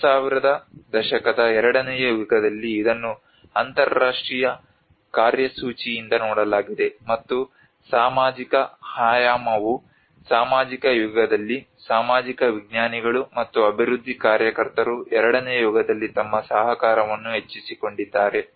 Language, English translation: Kannada, Whereas in the second era from 2000s this has been seen by the International agenda, and also the social dimension come into the picture where the social scientists and the development workers have increased their cooperation in the second era